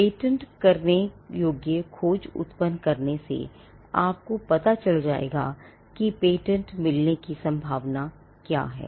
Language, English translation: Hindi, By generating a patentability search, you would know the chances of a patent being granted